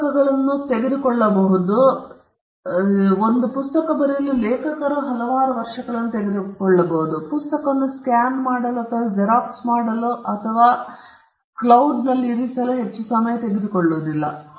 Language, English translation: Kannada, Books may take, an author may take years to write the book, it does not take much to scan the book and put the copy of the entire pirated book somewhere in the cloud